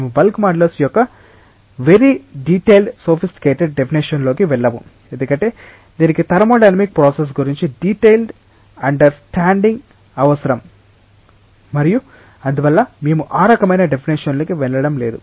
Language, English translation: Telugu, We will not go into very detailed sophisticated definition of bulk modulus because, it requires a detailed understanding of thermodynamic processes and therefore, we are not going into that type of definition